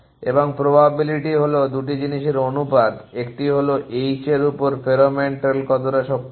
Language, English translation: Bengali, And the probability is proportion 2 thing; one is how strong is pheromone trail on that h